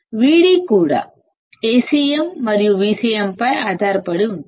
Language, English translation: Telugu, Vd will also depend on A cm and V cm